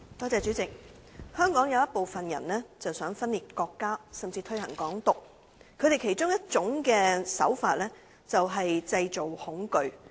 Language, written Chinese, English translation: Cantonese, 主席，香港有部分人想分裂國家，甚至推行"港獨"，他們其中一種手法便是製造恐懼。, President some people in Hong Kong attempt to engage in acts of secession and even promote Hong Kong independence . One of their tactics is creating fear